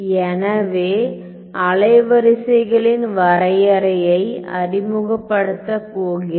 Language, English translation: Tamil, So, let me introduce a definition of the wavelets ok